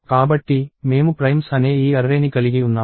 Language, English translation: Telugu, So, I have this array called primes